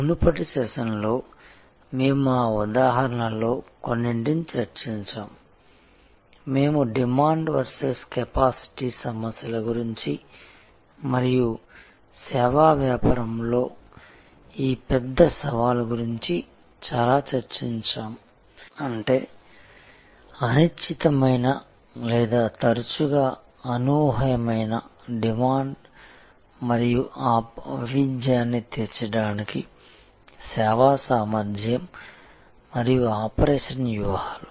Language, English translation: Telugu, We discussed some of those examples in the previous session, we discussed a lot about demand versus capacity issues and how this big challenge in the service business; that means, indeterminate or often unpredictable demand and the service capacity and operation strategies to meet that variability